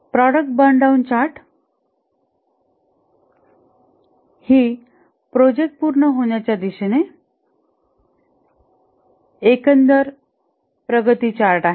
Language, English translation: Marathi, The product burn down chart, this is the overall progress towards the completion of the project